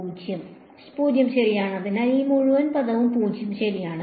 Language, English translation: Malayalam, 0 right; so, this whole term is 0 ok